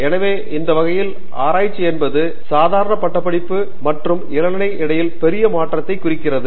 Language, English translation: Tamil, So, that kind of represents the big shift between a normal degree course and PhD